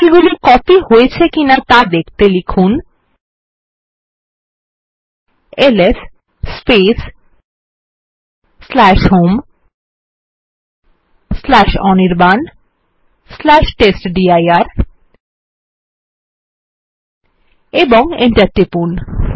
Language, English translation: Bengali, You see that this files have actually been copied.We will type ls /home/anirban/testdir and press enter